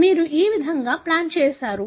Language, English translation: Telugu, This is how you plot it